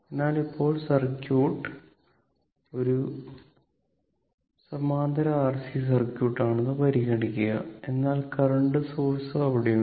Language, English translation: Malayalam, So now, consider that your the circuit that is your parallel RC circuit, but a current source is there